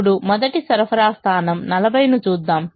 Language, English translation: Telugu, now let us look at the first supply point of forty